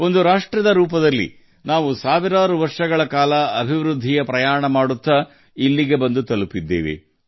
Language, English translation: Kannada, As a nation, we have come this far through a journey of development spanning thousands of years